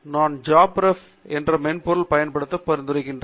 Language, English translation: Tamil, And that’s were I would recommend you to use the software called JabRef